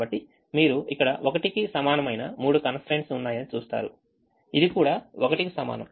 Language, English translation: Telugu, so there will be three constraint, which you can see here equal to one